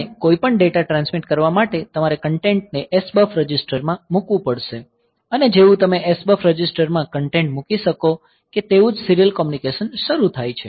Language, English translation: Gujarati, And for transmitting any data you have to put the content into the SBUF register; as soon as you can you put content to the SBUF register the serial communication starts